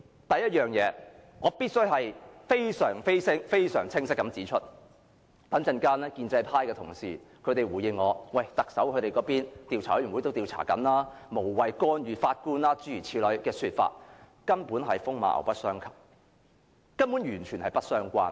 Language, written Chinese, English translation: Cantonese, 第一，我必須非常清晰地指出，稍後建制派同事如回應時說，特首已成立調查委員會，因此無謂干預法官的工作，這說法根本是風馬牛不相及，完全不相關。, First I must make one point clear . Later on pro - establishment Members will say in response that since the Chief Executive has established the Commission of Inquiry we should not interfere with the work of the Judge . This argument is totally irrelevant